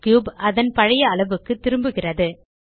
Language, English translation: Tamil, The cube is back to its original size